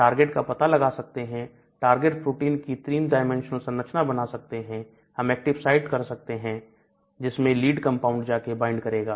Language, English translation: Hindi, So, we can identify targets, we can predict the three dimensional structure of that target protein, we can identify or predict the active site into which my leads will go and bind to